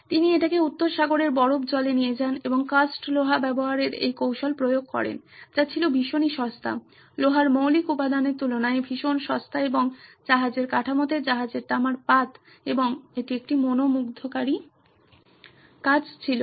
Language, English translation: Bengali, He took it to the icy waters of North Sea and applied this technique of using cast iron which is very cheap, much cheaper than the elemental form of iron and attached it to the hulls of the ship, the copper sheet of the ships and it worked like a charm